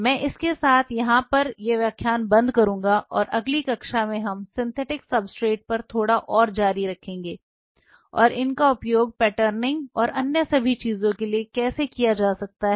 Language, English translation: Hindi, I will close in here with this and next class we will continue little bit more on synthetic substrate and how these could be used for patterning and all other things